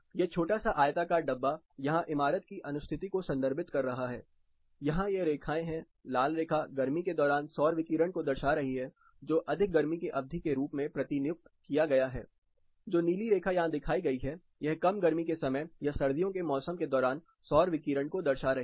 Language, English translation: Hindi, This small box rectangle here represents a building’s orientation, these lines here, the red one indicates the solar radiation during summer which is deputed as overheated period, the blue one which is shown here indicates the solar radiation during the under heated period or the winter season